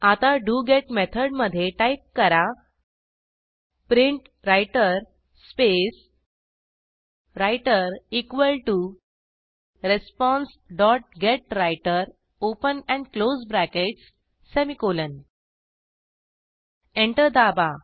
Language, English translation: Marathi, So, inside the doGet method type PrintWriter space writer equal to responsedot getWriter open and close brackets semicolon Press Enter